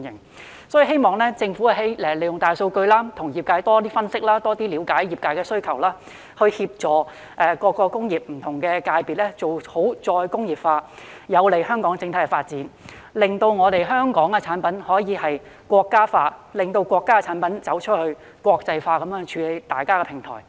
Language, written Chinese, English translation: Cantonese, 所以，我希望政府利用大數據，多與業界分析並了解他們的需要，協助各個工業不同界別做好再工業化，這便能有利香港的整體發展，令香港產品可以"國家化"，令國家產品走出國際，成為大家的平台。, For this reason I hope the Government will make use of big data to engage in analysis more with the industries and understand their needs so as to help different sectors of various industries to properly implement re - industrialization . This will benefit the overall development of Hong Kong as Hong Kongs products can be nationalized and national products can enter the international arena thereby creating a mutual platform